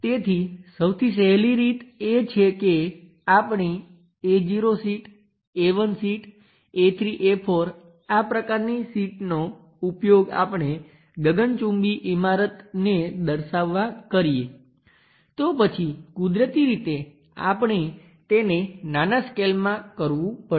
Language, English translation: Gujarati, So, the easiest way is using our A naught sheet A 1 sheet A 3 A 4 this kind of sheets we would like to represent a skyscraper then naturally we have to scale it down